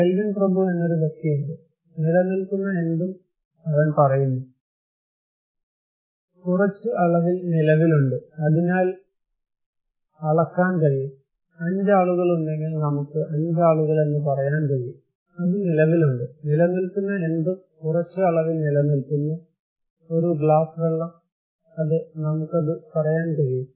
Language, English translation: Malayalam, There is a person Lord Kelvin, he is saying that anything that exists; exists in some quantity and can, therefore, be measured, if there are 5 people, we can say 5 people so, it exists so, anything that exists, that exists in some quantity, a glass of water; yes we can tell it